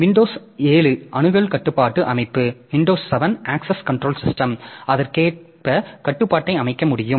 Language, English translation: Tamil, Windows 7 access control system so they also do the similar things so it can set the control accordingly